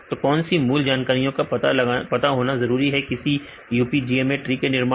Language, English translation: Hindi, So, what is the basic information required to construct the UPGMA method tree